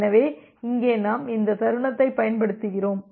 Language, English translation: Tamil, So, here we are utilizing this space